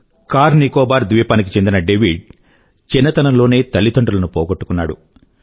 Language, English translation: Telugu, There was David, a denizen of CarNicobar who had lost his parents while he was an infant